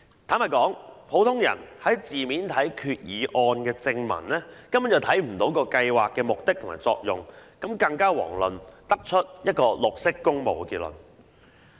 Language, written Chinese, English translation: Cantonese, 坦白說，普通人從字面看決議案的正文，根本不會看出計劃的目的和作用，遑論得出"綠色工務"的結論。, Frankly taking the wording in the body text of the Resolution literally no one will see the purpose and function of the programme at all not to mention drawing the conclusion of green public works